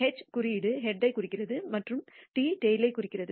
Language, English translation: Tamil, H refers to the head and T refers to the tail